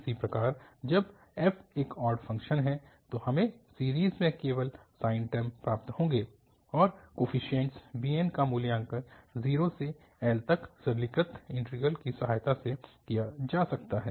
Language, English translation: Hindi, Similarly, when f is an even function, we will get only the sine terms in the series and the coefficient bn can be evaluated with the help of the simplified integral again, 0 to L